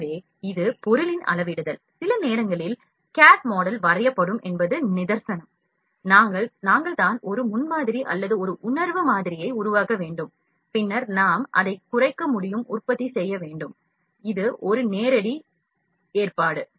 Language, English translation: Tamil, So, this is scaling of the object, sometimes the cad model will draw is big and we just need to produce a prototype or just a feel model out of that, then we can just downscale it and produce